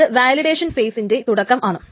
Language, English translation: Malayalam, This is the start of the validation phase